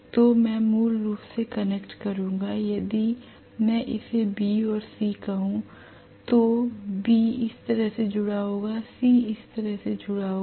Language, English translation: Hindi, So I will connect basically from if I may call this as B and this as C, so B will be connected like this, C will be connected like this